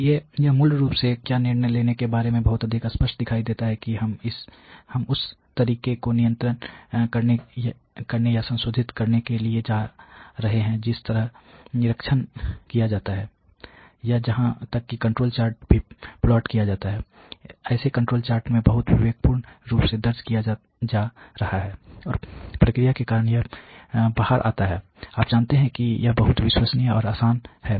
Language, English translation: Hindi, So, it is basically very much visible what about decision making, we are taking to control or modify the way that inspection is carried out or even the control chart is plotted, it is being recorded very judiciously in the control chart, and it comes out because of the process you know it is very full proof